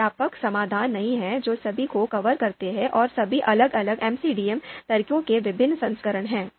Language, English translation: Hindi, There is not one comprehensive solution that covers all of them, are all different versions of different MCDA methods